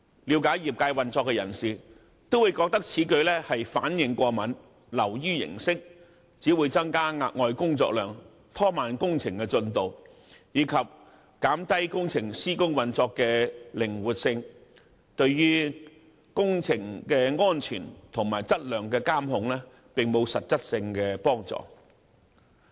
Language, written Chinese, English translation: Cantonese, 了解業界運作的人會認為這樣反應過敏，流於形式，只會增加額外的工作量，拖慢工程進度，以及減低工程施工運作的靈活性，對於工程的安全及質量的監控並無實質幫助。, Those who are familiar with the operation of the industry might consider this over - vigilant and is nothing more than a formality that would simply create additional workload slow down the works progress and reduce the flexibility of the operation . It does not provide any concrete assistance in enhancing the safety of the project and quality control